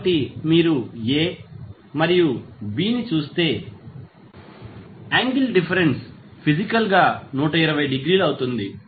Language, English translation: Telugu, So, if you see A and B, so, the angle difference will be physically 120 degree